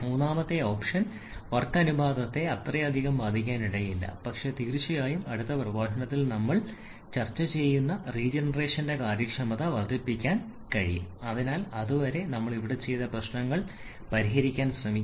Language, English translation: Malayalam, The third option which may not affect the work ratio that much but definitely can increase the efficiency that which is regeneration that we shall be discussing in the next lecture, so till then you try to solve the problems that we have done here